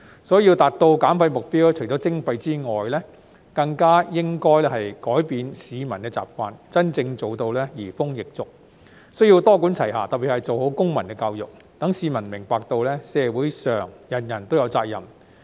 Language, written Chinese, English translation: Cantonese, 所以，要達到減廢目標，除了徵費外，更加應改變市民的習慣，真正做到移風易俗，需要多管齊下，特別是做好公民教育，使市民明白到社會上人人都有責任。, Therefore to achieve waste reduction targets apart from imposing charges it is more important to change the publics habits . A break with old customs and habits requires a multi - pronged approach especially good civic education to enable the public to understand that everyone in society shares a responsibility